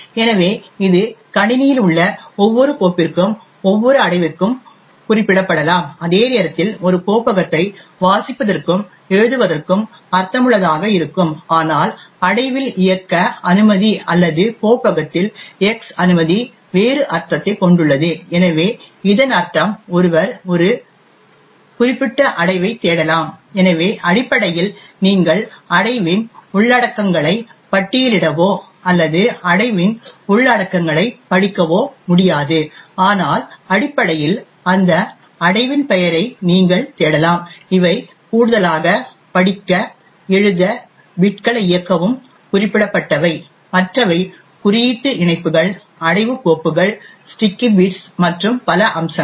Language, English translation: Tamil, So this can be specified for each file in the system as well as each directory as well, while it makes sense to actually have a read and write a directory execute permission or X permission on the directory has a different meaning, so it essentially means that one could lookup a particular directory, so essentially you cannot list the contents of the directory or read the contents of the directory but essentially you could lookup the name of that directory, in addition to these read, write, execute bits what is specified is other aspects such as symbolic links, directory files, sticky bits and so on